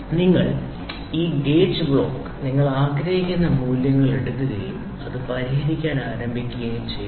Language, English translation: Malayalam, You make this gauge blocks pick up the values whatever you want and then you start solving it